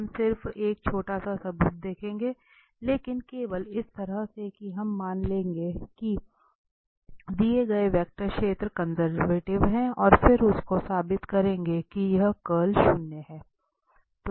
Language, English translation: Hindi, We will see just a short proof but only in this way that we will assume that the given vector field is conservative and then we will prove that it's curl is zero